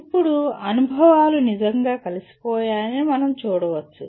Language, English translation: Telugu, Now, we can look at the experiences are really integrated